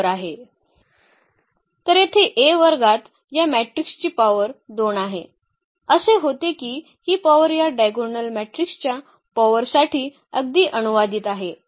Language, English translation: Marathi, So, here the A square the power of this matrix is 2 power of this matrix; it is coming to be that this power is exactly translated to the power of this diagonal matrix